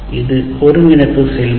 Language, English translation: Tamil, This is what the process of integration